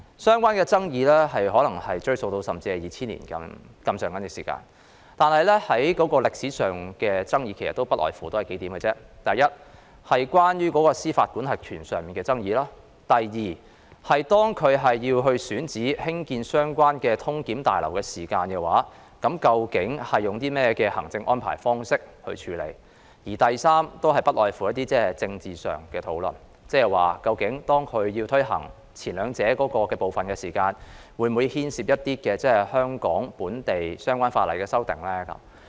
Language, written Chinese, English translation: Cantonese, 所涉爭議或可追溯至2000年，但歷史上的爭議其實不外乎數點：第一，是司法管轄權的爭議；第二，是在選址興建相關的旅檢大樓時究竟會採取甚麼行政安排處理；以及第三，是政治上的討論，意思是當政府推行前兩者時，會否涉及香港本地相關法例的修訂呢？, The dispute involved may date back to 2000 but the dispute in history is actually over nothing more than a few issues First the dispute over jurisdiction; second the administrative arrangements for dealing with site selection for constructing the relevant passenger clearance building; and third political discussions meaning the involvement or otherwise of any amendments to the relevant local legislation in Hong Kong when the Government finalizes the details on the first two issues